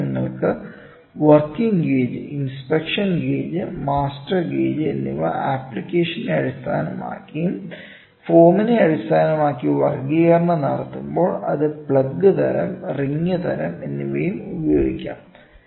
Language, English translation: Malayalam, So, you can have working gauge, inspection gauge, master gauge based on the application and when the classification is based on the form, it can be plug type and ring type